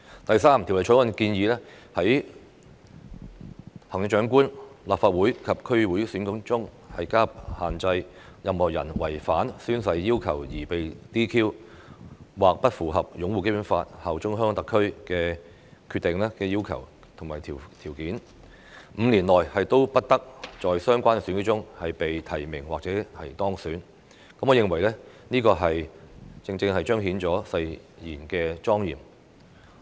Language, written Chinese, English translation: Cantonese, 第三，《條例草案》建議在行政長官、立法會及區議會選舉中加入限制，任何人違反宣誓要求而被 "DQ"， 或不符合擁護《基本法》、效忠香港特區的要求和條件 ，5 年內不得在相關選舉中被提名或當選，我認為這正正是彰顯誓言的莊嚴。, Thirdly the Bill proposes to impose restrictions on the elections of the Chief Executive the Legislative Council and the District Councils such that persons who have been DQ disqualified for breach of the oath - taking requirements or failure to fulfil the requirements and conditions on upholding the Basic Law and pledging allegiance to HKSAR will be disqualified from being nominated or elected in the relevant elections held within five years . I think this precisely reflects the solemnity of the oath